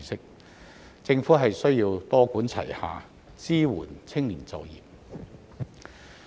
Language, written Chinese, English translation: Cantonese, 因此，政府需要多管齊下，支援青年就業。, Hence the Government needs to adopt a multi - pronged approach to support the youth employment